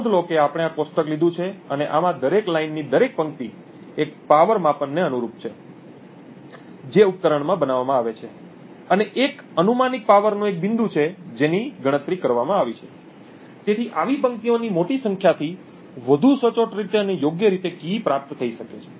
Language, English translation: Gujarati, Note that we had taken this table and each line in this or each row in this particular table corresponds to one power measurement that is made in the device and one point in the hypothetical power that was computed, so the larger number of such rows present, the more accurately the key can be recovered correctly